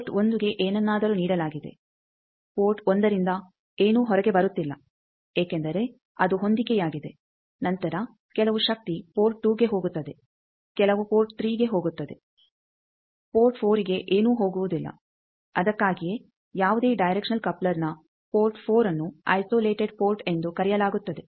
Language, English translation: Kannada, Port 1 something is given, nothing is coming out at port 1 because its matched then some power goes to port 2, some goes to port 3, nothing goes to port 4 that is why port 4 of any directional coupler is called isolated port